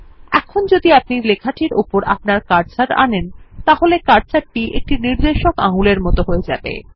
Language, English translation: Bengali, Now when you hover your cursor over the text, the cursor turns into a pointing finger